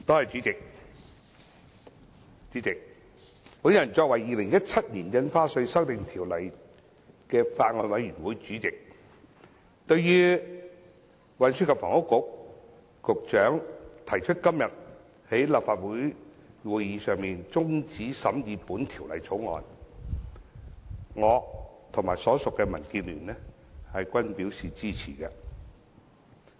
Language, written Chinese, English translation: Cantonese, 主席，我作為《2017年印花稅條例草案》的法案委員會主席，對於運輸及房屋局局長在今天的立法會會議上提出中止審議《條例草案》，我和所屬的民建聯均表示支持。, Chairman in my capacity as the Chairman of the Bills Committee on the Stamp Duty Amendment Bill 2017 the Bill I together with the Democratic Alliance for the Betterment and Progress of Hong Kong to which I belong support the proposal of the Secretary for Transport and Housing to suspend the scrutiny of the Bill at the Legislative Council meeting today